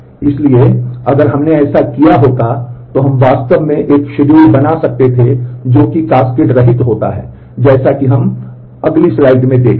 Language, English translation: Hindi, So, if we would have committed that, then we would have been able to actually create a schedule which is cascade less as we see in the next slide